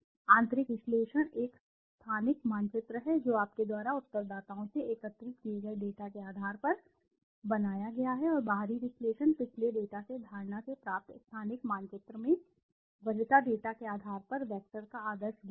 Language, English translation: Hindi, Internal analysis is the one the spatial map that has been built on basis of the data that you have collected from the respondents and the external analysis is the ideal point of vectors based on preference data fit in a spatial map derived from perception from past data, some past record